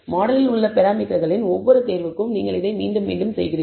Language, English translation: Tamil, This you do repeatedly for every choice of the parameters in the model